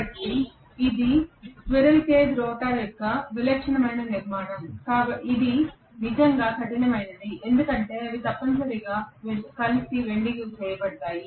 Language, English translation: Telugu, So this is the typical structure of a squirrel cage rotor which is really really rugged because they are essentially welded together